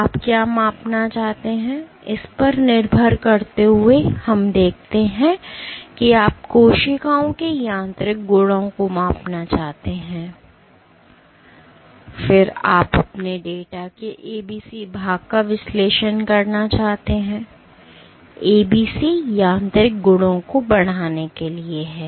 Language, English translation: Hindi, So, depending on what you want to measure, let us say you want to measured the mechanical properties of the cells, then you want to analyze ABC portion of your data, ABC is for quantifying mechanical properties